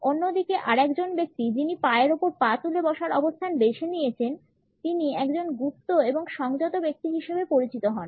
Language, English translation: Bengali, On the other hand a person who has opted for a cross leg position comes across as a closed and reticent person